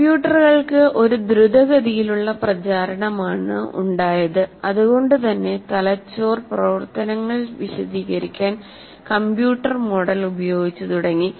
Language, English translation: Malayalam, So, as we said, because there is a rapid proliferation of computers, it has encouraged the use of computer model to explain brain functions